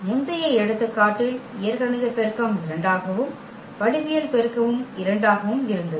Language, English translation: Tamil, In the previous example though the algebraic multiplicity was 2 and the geometric multiplicity was also 2